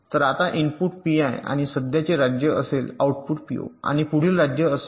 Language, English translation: Marathi, so now the inputs will be p, i and present state, the outputs will be p, o and next state